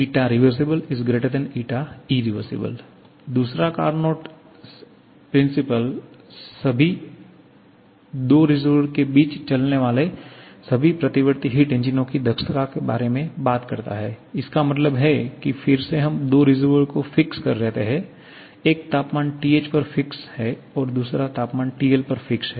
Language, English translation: Hindi, Second Carnot principle talks about the efficiency of all reversible heat engines operating between the same 2 reservoirs are the same, means again we are fixing up 2 reservoirs, one at temperature TH, other at temperature TL